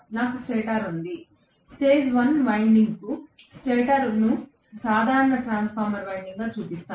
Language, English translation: Telugu, I have the stator, let me show stator per phase one winding as a simple transformer winding